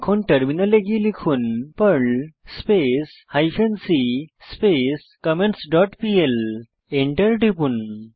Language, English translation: Bengali, Switch to the Terminal, and type perl hyphen c comments dot pl and press Enter